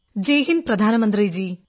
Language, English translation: Malayalam, Jai Hind, Hon'ble Prime Minister